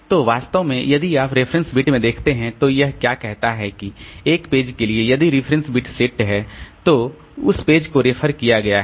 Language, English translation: Hindi, So, actually if you look into the reference bit what it says is that for a page if the reference bit is set then that page has been referred to